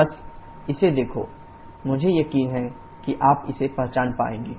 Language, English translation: Hindi, Just look at it, I am sure you will be able to identify it